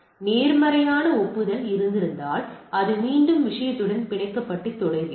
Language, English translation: Tamil, If there is positive acknowledgement it gets again bind to the thing with the thing and goes on